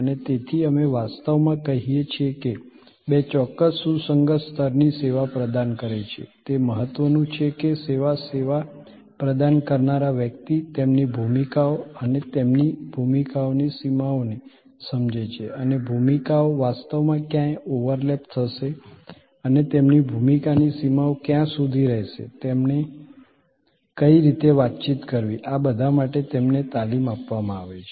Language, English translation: Gujarati, And therefore, we actually say that two deliver a certain consistent level of service it is important that the service personal understand their roles and the boundaries of their roles and where the roles will actually overlap and the boundary spending nature of their roles and there will be some scripts and there should be enough training provided to people